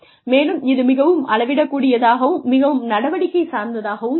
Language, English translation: Tamil, And then, it will be more measurable, and more action oriented